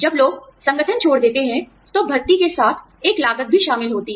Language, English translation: Hindi, When people leave the organization, there is a cost involved, with recruitment